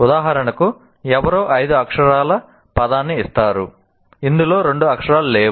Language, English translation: Telugu, For example, somebody gives you a word, a five letter word, in which two letters are missing